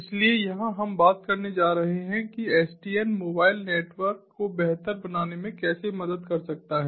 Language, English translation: Hindi, so here we are going to talk about how sdn can help in improving mobile networks specifically